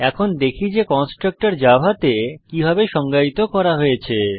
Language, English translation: Bengali, Let us now see how constructor is defined in java